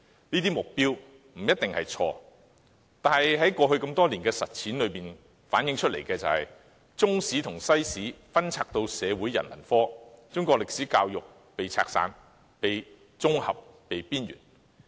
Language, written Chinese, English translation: Cantonese, 這些目標不一定錯誤，但過去多年的實踐反映，中史和西史被納入社會科後，中史教育更被拆散、綜合和邊緣化。, These objectives were not necessarily wrong but after years of implementation with Chinese History and World History being integrated into social subjects Chinese History education has been taken apart integrated and marginalized